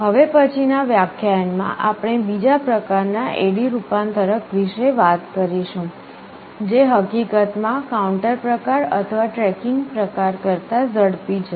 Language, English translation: Gujarati, In the next lecture we shall be talking about another type of A/D converter, which in fact is faster than the counter type or the tracking type